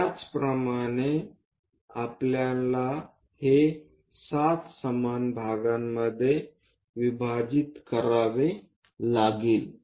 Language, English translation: Marathi, Similarly this we have to divide into 7 equal parts